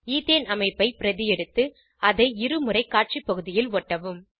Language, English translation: Tamil, Let us copy the Ethane structure and paste it twice on the Display area